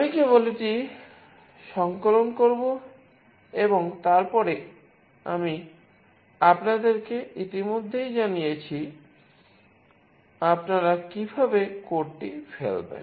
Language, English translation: Bengali, I will just compile it and then I have already told you, how you will dump the code